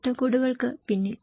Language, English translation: Malayalam, Behind the frameworks